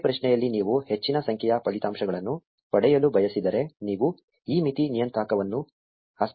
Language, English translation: Kannada, If you want to get more number of results in a single query, you can change this limit parameter manually